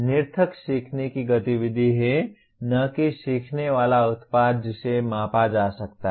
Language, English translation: Hindi, There is nonspecific learning activity and not a learning product that can be measured